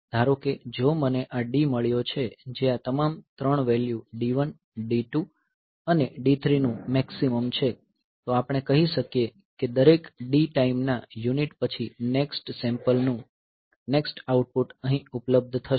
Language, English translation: Gujarati, So, if suppose I have got this D which is the maximum of all these 3 values D 1, D 2 and D 3, then we can say that after every D time unit the next sample next output will be available here